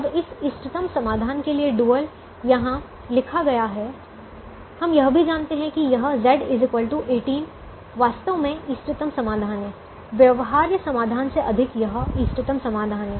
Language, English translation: Hindi, the optimum solution is: we also know that this z equal to eighteen is actually the optimum solution, more than the feasible solution